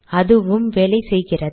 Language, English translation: Tamil, Okay, Same thing works